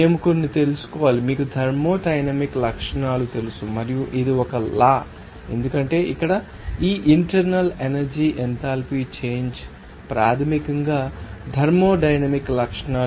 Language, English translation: Telugu, We have to know some, you know thermodynamic properties and it is a law because here this internal energy enthalpy change all those are basically thermodynamic properties